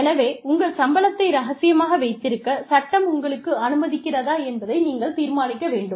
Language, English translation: Tamil, So, you have to decide, whether one, whether the law permits you, to keep your salary secret